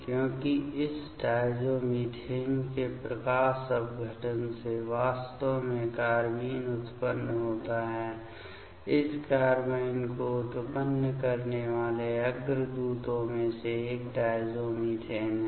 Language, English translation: Hindi, Because, the photolysis of this diazomethane actually produces carbene ok; one of the precursor for generating this carbene is the diazomethane